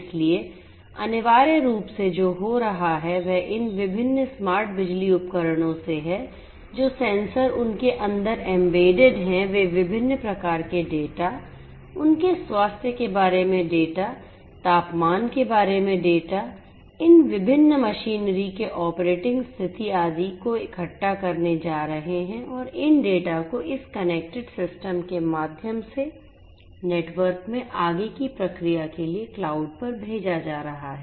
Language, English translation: Hindi, So, essentially what is happening is from these different smart power devices the sensors that are embedded in them are going to collect different types of data, data about their health, data about the temperature, the operating condition, etcetera of these different machinery and these data are going to be sent through that through this connected system the network to the cloud for further processing